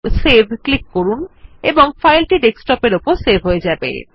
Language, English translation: Bengali, Click Save and the file will be saved on the Desktop